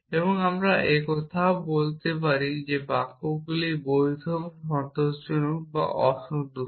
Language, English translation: Bengali, And we can now talk about this whether the sentences valid or satisfiable or unsatisfiable